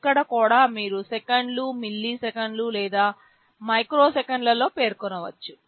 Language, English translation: Telugu, Here also you can specify in seconds, milliseconds or microseconds